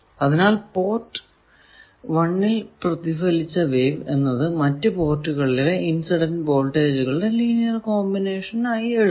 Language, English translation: Malayalam, So, any reflected wave at 1 port can be written as linear combinations of incident voltages at all other ports